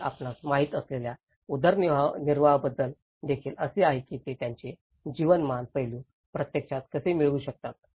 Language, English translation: Marathi, And there is also about the livelihood you know, how they can actually get their livelihood aspects of it